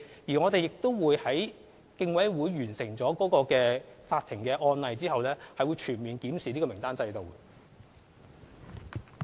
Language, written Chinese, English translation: Cantonese, 而在有關案件的法律程序完成後，我們會全面檢視參考名單制度。, After the completion of the legal proceedings of the relevant case we will conduct a full review of the Reference List System